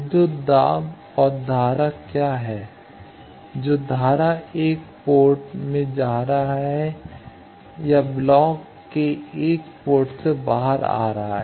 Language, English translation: Hindi, What is the voltage or what is the current going into 1 port or coming out of 1 port of the block